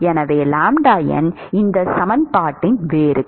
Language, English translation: Tamil, So, we can solve this equation